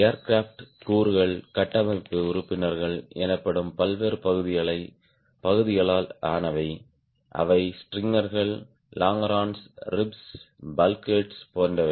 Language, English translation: Tamil, the aircraft components are composed of various parts called structural members, that is, strangers, longerons, ribs, bulk heads, etcetera